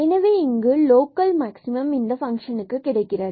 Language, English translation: Tamil, So, here also there is a local maximum of this function